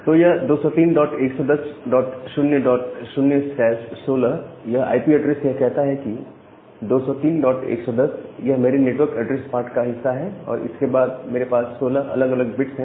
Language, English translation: Hindi, So, these 203 dot 110 dot 0 dot 0 slash 16 it says that well, these 203 dot 110, this part is my network address part, then I have 16 different bits